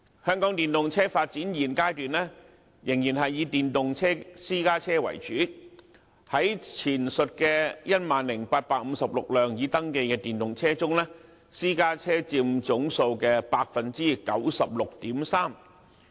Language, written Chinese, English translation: Cantonese, 香港電動車發展現階段仍然是以電動私家車為主，在前述的 10,856 輛已登記的電動車中，私家車佔總數的 96.3%。, At the current stage EVs used in Hong Kong are still mainly electric private cars which accounted for 96.3 % of the total number of the 10 856 registered EVs mentioned above